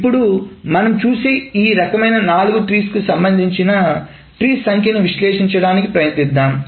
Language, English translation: Telugu, Now let us try to analyze the number of joint trees for each of this kind of four trees that we have seen